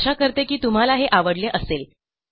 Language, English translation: Marathi, Hope you enjoyed learning them